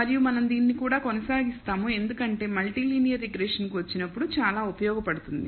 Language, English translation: Telugu, And we will continue the we will do that also because that is very useful when we come to multilinear regression